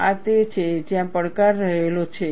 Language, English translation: Gujarati, This is where the challenge lies